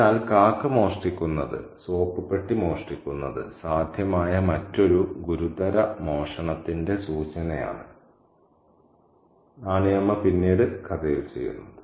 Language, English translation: Malayalam, So, the crow's stealing, the probable stealing of the soap dish is an indication of the other more serious kind of stealing that Nani Amma would do later on in the story